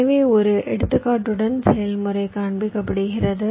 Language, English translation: Tamil, so the process i will be showing with an example